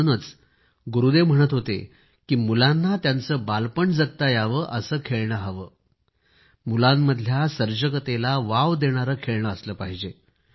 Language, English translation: Marathi, Therefore, Gurudev used to say that, toys should be such that they bring out the childhood of a child and also his or her creativity